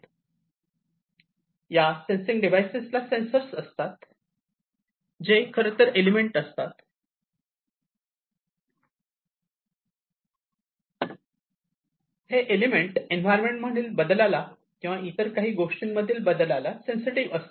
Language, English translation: Marathi, So, these sensing devices have the sensor, which will which is actually the element, which is sensitive to these changes of environment or any other thing, that they are supposed to sense